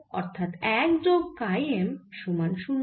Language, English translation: Bengali, so i get one plus chi m equal to zero